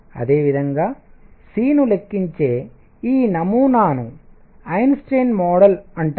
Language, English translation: Telugu, By the way, this model of calculating C is known as Einstein model